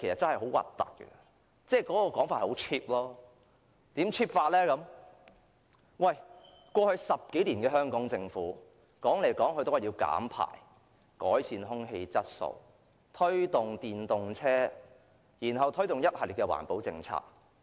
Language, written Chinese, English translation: Cantonese, 香港政府過去10多年經常說要減排，要改善空氣質素，推動電動車，又推行一系列環保政策。, In the past 10 - odd years the Hong Kong Government has been constantly talking about reducing emissions and promoting the use of electric vehicles . It has also implemented a series of green policies